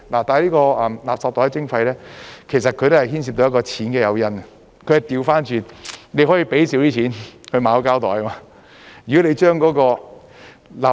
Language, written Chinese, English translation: Cantonese, 這個垃圾袋徵費其實也是牽涉到錢的誘因，但它是反過來，你可以少付錢去購買膠袋，如果你把垃圾......, As a matter of fact this charging scheme for garbage bags also involves a financial incentive but it works the other way around